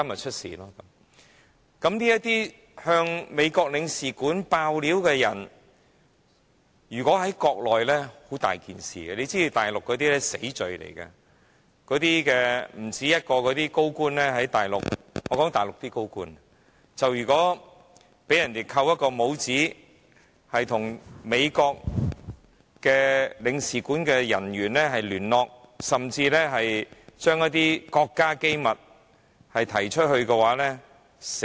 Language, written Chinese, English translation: Cantonese, 這些向美國領事館告密的人，如果在國內這樣做，會是非常麻煩，這在大陸是死罪；不止1個大陸高官在大陸被人"扣帽子"，被指與美國領事館人員聯絡，甚至說出一些國家機密，可能會被判死刑。, Such acts may be punishable by death . In the Mainland more than one high - ranking official has been labelled being accused of having contacts with United States Embassy staff or even divulging state secrets . These officials may be sentenced to death